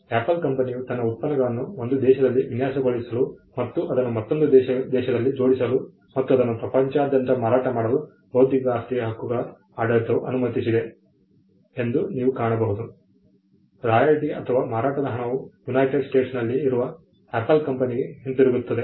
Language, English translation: Kannada, You will find that it is the intellectual property rights regime that allows a company like Apple to design its products in one country and assemble it in another country, and sell it throughout the world; in such a way that the royalty or the money for the sale comes back to Apple in the United States